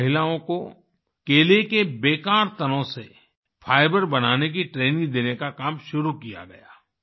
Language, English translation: Hindi, Here, the work of training women to manufacture fibre from the waste banana stems was started